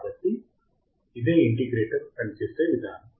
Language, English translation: Telugu, So, this is how the integrator would work